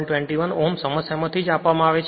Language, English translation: Gujarati, 21 ohm from the problem itself